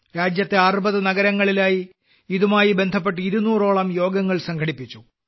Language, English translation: Malayalam, About 200 meetings related to this were organized in 60 cities across the country